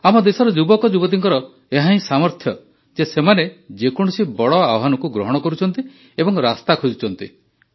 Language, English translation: Odia, And it is the power of the youth of our country that they take up any big challenge and look for avenues